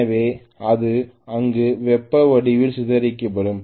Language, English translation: Tamil, So it will be dissipated in the form of heat there